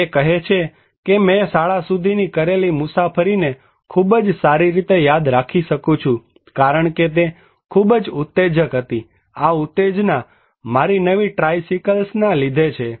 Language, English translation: Gujarati, He is saying that I can remember very clearly the journeys I made to and from the school because they were so tremendously exciting, the excitement centred around my new tricycle